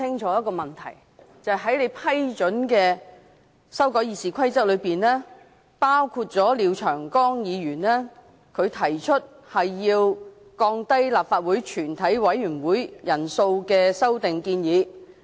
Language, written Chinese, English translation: Cantonese, 在經你批准的《議事規則》修訂建議中，包括廖長江議員所提降低立法會全體委員會法定人數的修訂建議。, Among the admissible proposals to amend the Rules of Procedure RoP Mr Martin LIAO proposed to reduce the quorum of a committee of the whole Council